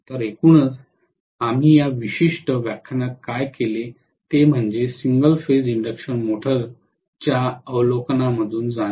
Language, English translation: Marathi, So on the whole what we had done in this particular lecture was to go through an overview of single phase induction motor